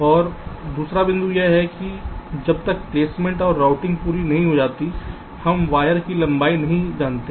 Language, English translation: Hindi, and the second point is that unless placement and outing are completed, we do not know the wire lengths